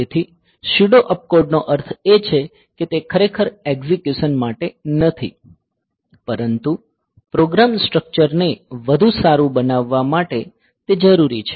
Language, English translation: Gujarati, So, peuso op code they mean that they are actually not for execution, but they are required for making the program structure better